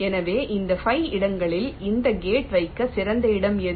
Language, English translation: Tamil, so, out of this five locations, which is the best location to place this gate